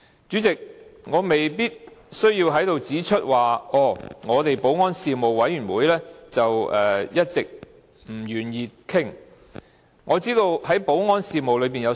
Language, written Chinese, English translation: Cantonese, 主席，我未必需要在此指出保安事務委員會一直不願意討論這議題，我知道保安事務範圍很廣。, President it may not be necessary for me to point out here that the Panel of Security has always been reluctant to discuss this issue . I understand that there are many items on the list which cover a wide range of security matters